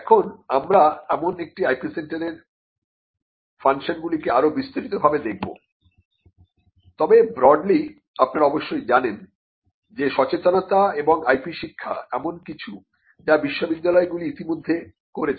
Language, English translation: Bengali, Now, these we will look at these the functions of an IP centre in greater detail, but broadly you would know that awareness and educational IP education is something that universities are already doing